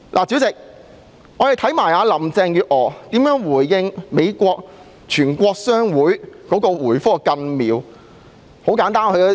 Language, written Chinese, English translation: Cantonese, 主席，我們看看林鄭月娥如何回覆美國全國商會。, President let us see how Carrie LAM has responded to the US Chamber of Commerce